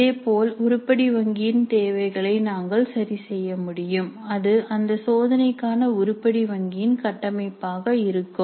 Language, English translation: Tamil, Similarly we can work out the requirements of the item bank and that would be the structure of the item bank for the test